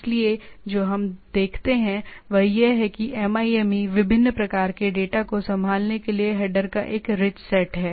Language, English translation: Hindi, So, what we see that MIME also has a rich set of a headers to handle different kind of data